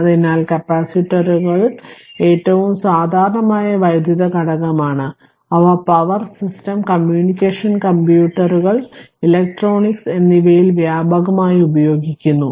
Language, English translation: Malayalam, So, capacitors are most common electrical component and are used extensively in your power system, communication computers and electronics